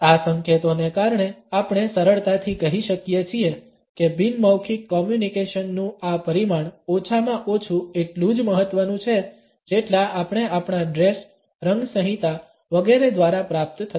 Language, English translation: Gujarati, Because of these clues we can easily say that this dimension of nonverbal communication is at least as important as the messages which we receive through our dress, the colour codes etcetera